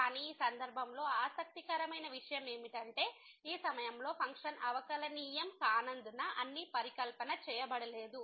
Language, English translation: Telugu, But, what is interesting in this case the all the hypothesis are not made because the function is not differentiable at this point